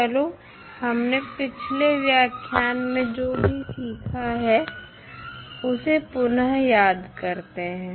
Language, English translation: Hindi, Let us recollect what we discussed in previous lectures